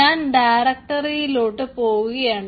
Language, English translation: Malayalam, so i will navigate to the directory